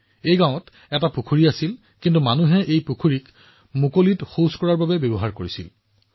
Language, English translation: Assamese, There used to be a pond in this village, but people had started using this pond area for defecating in the open